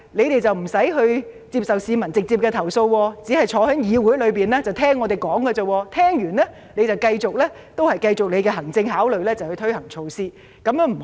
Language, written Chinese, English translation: Cantonese, 他們無需接受市民直接投訴，只消坐在議會內聆聽議員發言，之後繼續基於他們的行政考慮推行措施。, Without having to deal with peoples complaints directly they only need to sit here in the legislature and listen to Members speeches . Afterwards they will continue to implement measures based on their administrative consideration